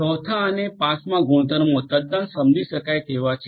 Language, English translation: Gujarati, The third the fourth and the fifth properties are quite understood